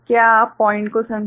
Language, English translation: Hindi, Do you get the point right